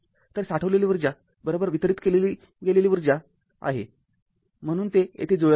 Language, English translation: Marathi, So, energy stored is equal to energy delivered so it is there matching right